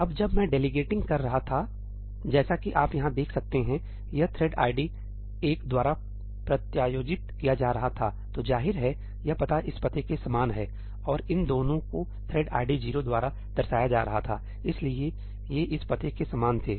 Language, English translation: Hindi, Now, when I was delegating ñ as you can see over here, this was being delegated by thread id 1, so obviously, this address is same as this address ; and these two were being delegated by thread id 0, so, these were the same as this address